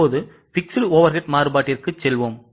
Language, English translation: Tamil, Now, let us go to fixed overhead variance